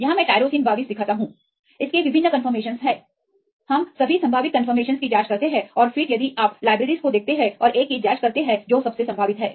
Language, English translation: Hindi, So, if we take this is a protein right here I show the tyrosine 22, it has various conformations, we check the all possible conformations and then if you see the libraries and check the one which one is the most probable one